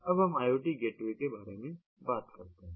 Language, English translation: Hindi, now we talk about iot gateways, ah